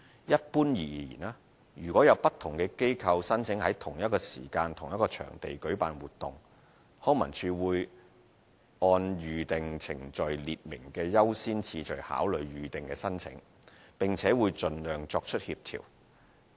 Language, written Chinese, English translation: Cantonese, 一般而言，如有不同機構申請在同一時間同一場地舉辦活動，康文署會按《預訂程序》列明的優先次序考慮預訂申請，並且會盡量作出協調。, In general in case different organizations apply for using the same venue to organize activities simultaneously LCSD will consider the booking applications with regard to the order of priority set out in the Booking Procedure and try to coordinate the activities as far as practicable